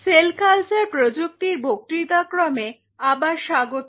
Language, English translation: Bengali, Welcome back to the lecture series on Cell Culture Technology